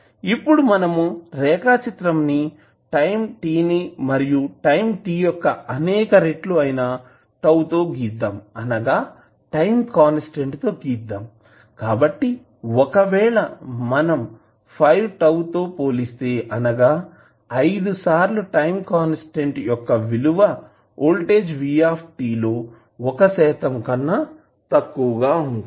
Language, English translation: Telugu, We will plot this value with respect to time t and let us take time t as a multiple of tau, that is the time constant so, if you compare you will come to know that after 5 tau, that means after 5 times constants the value of voltage Vt is less that 1 percent